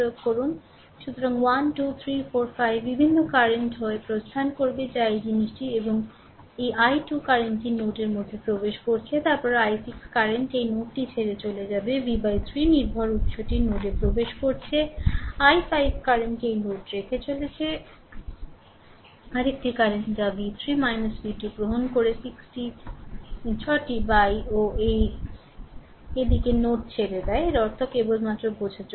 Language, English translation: Bengali, So, 1 2 3 4 5 5 different currents will either leave or will this thing this i 2 current is entering into the node, then i 6 current leaving this node, v by 3 dependent source are entering into the node, i 5 current leaving this node, another current that is if you take v 3 minus v 2 by 6 also in this direction leaving the node right so; that means, that means just for your understanding